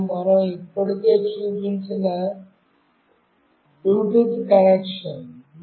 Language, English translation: Telugu, And the Bluetooth connection we have already seen